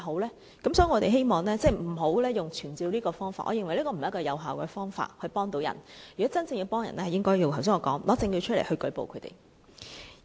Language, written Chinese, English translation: Cantonese, 因此，我們希望不要以傳召這方法，我覺得這不是助人的有效方法，如果真正要助人，應如我剛才所說提出證據舉報他們。, Therefore I believe summoning the officers is not the right way to help the victims . As suggested by me just now we should give evidence and report the cases if we honestly intend to help